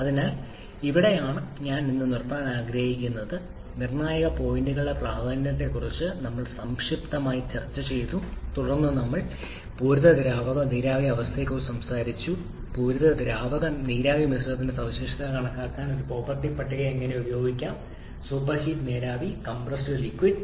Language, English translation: Malayalam, So this is where I would like to stop today we have briefly discussed the significance of critical point then we have talked about the saturated liquid and vapor state how to use a property tables to calculate properties of saturated liquid vapor mixture super heated vapor and compressed liquid and also we have solved few problems involving this